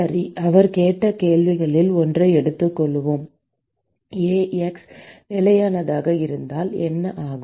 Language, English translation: Tamil, Okay, so, let us take one of the questions that he asked : what happens if A x is constant